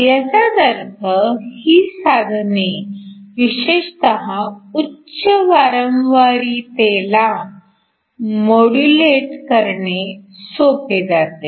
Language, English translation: Marathi, So, This means, it is easy to modulate these devices especially at high frequencies